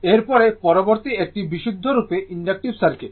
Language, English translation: Bengali, So, next is the purely inductive circuit, purely inductive circuit